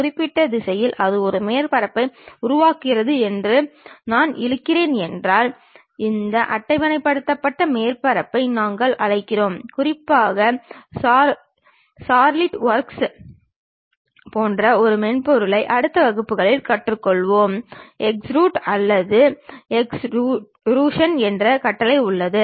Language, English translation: Tamil, If I am dragging that along particular direction it forms a surface, that kind of things what we call this tabulated surfaces and especially, a software like SolidWork which we will learn it in next classes, there is a command named extrude or extrusion